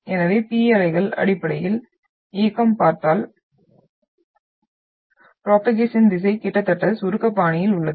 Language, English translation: Tamil, So P waves basically the motion, the direction of propagation if you look at is almost in the compressional fashion